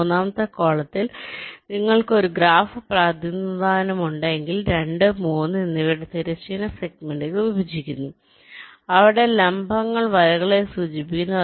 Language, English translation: Malayalam, in the third column, the horizontal segments of two and three are intersecting, like if you have a graph representation where the vertices indicate the nets